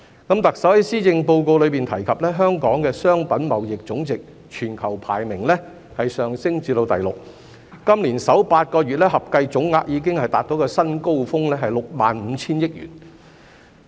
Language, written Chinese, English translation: Cantonese, 特首在施政報告中提及香港的商品貿易總值全球排名上升至第六，今年首8個月合計總額已達至一個新高峰，是6萬 5,000 億元。, In the Policy Address the Chief Executive mentioned that Hong Kongs global ranking in terms of total merchandise trade value rose to the sixth place and the total value hit a record high of 6,500 billion for the first eight months of this year